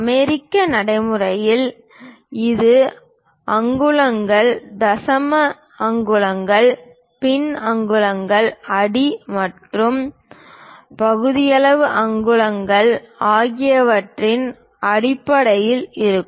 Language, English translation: Tamil, In American practice, it will be in terms of inches, decimal inches, fractional inches, feet and fractional inches are used